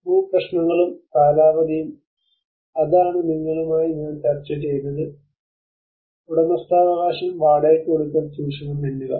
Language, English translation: Malayalam, Land issues and tenures that is what I just discussed with you the ownership, the renting, and the squatting